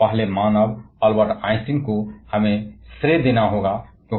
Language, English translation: Hindi, And the first human we must pay to sir Albert Einstein